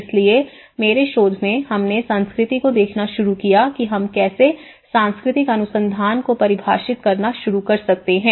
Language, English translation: Hindi, So in my research, we started looking at the culture how we can start defining the cultural research